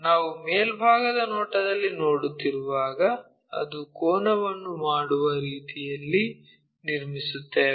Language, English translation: Kannada, So, what we do is when we are doing in the top view, we construct in such a way that it makes an angle